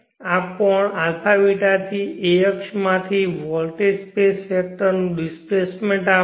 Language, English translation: Gujarati, will give the displacement of the voltage space vector from the a beeta from the a axis